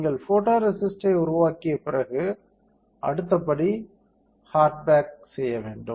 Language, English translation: Tamil, After you develop photoresist, the next step is hard bake